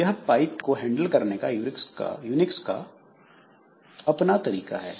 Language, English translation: Hindi, So, this is the way Unix handles the pipes